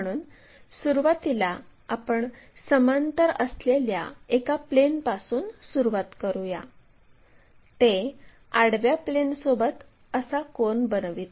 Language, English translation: Marathi, So, initially we begin with a plane which is parallel, then make an angle with vertical planeah with the horizontal plane